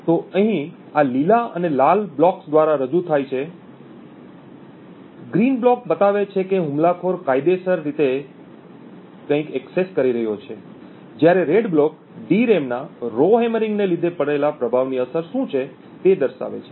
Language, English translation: Gujarati, So this is represented here by these green and red blocks, the green block show what the attacker is legally accessing, while the red block show what show the effect of falls induced due to the Rowhammering of the DRAM